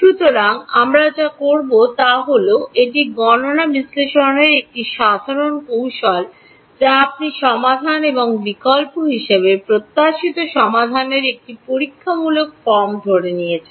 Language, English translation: Bengali, So, what will do is we will assume this is a common technique in numerical analysis you assume a kind of a trial form of the solution that you expected to be and substitute in